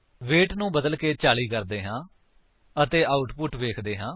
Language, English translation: Punjabi, Let us change the weight to 40 and see the output